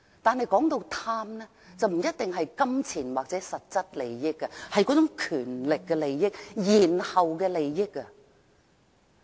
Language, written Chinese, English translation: Cantonese, 但是，貪不一定牽涉金錢或實質利益，而是那種權力的利益，延後的利益。, Nevertheless greedy does not necessarily involve pecuniary or substantial interests but the interests derived from power and deferred interests